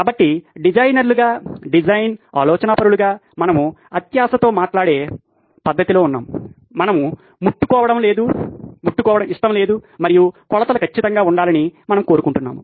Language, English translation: Telugu, So as designers, as design thinkers, we are in a manner of speaking greedy people, we want no touching and we want measurements to be perfect